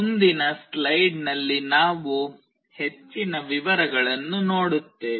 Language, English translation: Kannada, We will be looking into more details in next slide